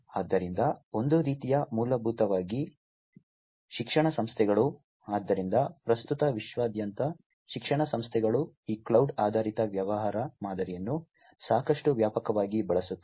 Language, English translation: Kannada, So, one type is basically the educational institutions; so presently worldwide, educational institutions use these cloud based business model quite extensively